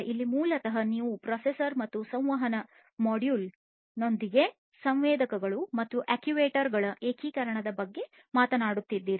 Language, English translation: Kannada, So, here basically you are talking about integration of sensors and actuators, with a processor and a communication module